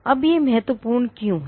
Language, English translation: Hindi, Now why is this important